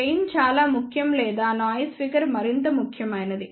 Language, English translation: Telugu, Gain is more important or noise figure is more important